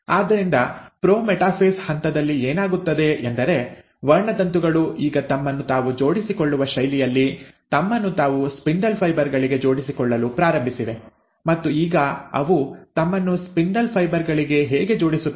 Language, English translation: Kannada, So in the pro metaphase stage, what happens is that the chromosomes have now started arranging themselves in a fashion that they start connecting themselves and attaching themselves to the spindle fibres, and now how do they attach themselves to the spindle fibres